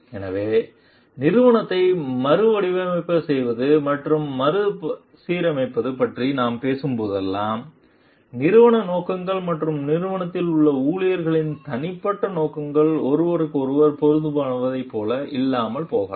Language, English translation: Tamil, So, whenever we are talking of redesigning restructuring the organization somewhere we find like the organizational objectives and the personal objectives of the employees present in the organization may not be like matching with each other